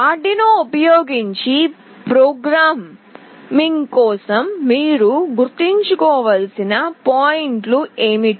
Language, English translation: Telugu, What are the points that you need to remember for programming using Arduino